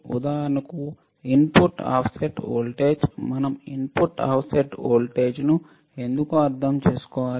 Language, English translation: Telugu, For example, input offset voltage why we need to understand input offset voltage